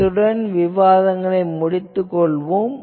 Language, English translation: Tamil, , So, with this, I end this discussion